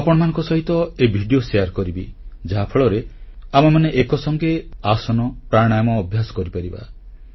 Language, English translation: Odia, I will share these videos with you so that we may do aasans and pranayam together